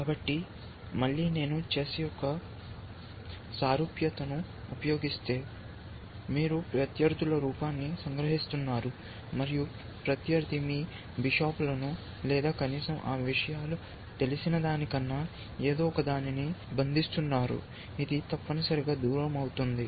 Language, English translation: Telugu, So, again if I use a analogy of chess, then if you are doing, you are capturing the opponents look, and the opponents is capturing you bishops or something than at least those things are known, that this, this is are going away essentially